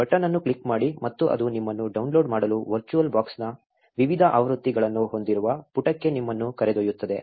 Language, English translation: Kannada, Just click on the button and it will take you to the page where you have different versions of the virtual box to download